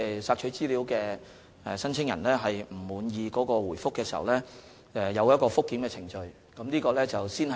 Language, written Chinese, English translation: Cantonese, 索取資料的申請人若不滿意回覆，可循覆檢程序提出投訴。, If the requestor is not satisfied with the response of the government departmentPolicy Bureau concerned he may lodge a complaint under the review mechanism